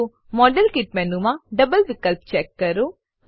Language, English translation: Gujarati, So, check double option in the modelkit menu